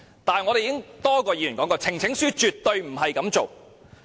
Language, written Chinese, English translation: Cantonese, 但是，我們已有多位議員說過，呈請書絕不應這樣處理。, However as various Members from our side have indicated petitions should never be dealt with in such a manner